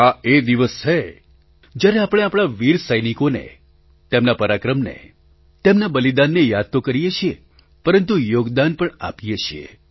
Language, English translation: Gujarati, This is the day when we pay homage to our brave soldiers, for their valour, their sacrifices; we also contribute